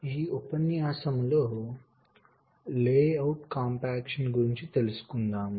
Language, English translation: Telugu, so here we talked about layout compaction